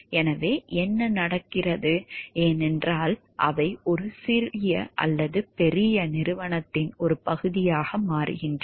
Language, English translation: Tamil, So, what happens like, because they are part of a large corporation